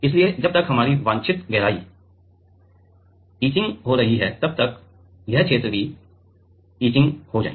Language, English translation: Hindi, So, that by the time the our desired depth is etched this region also should get etched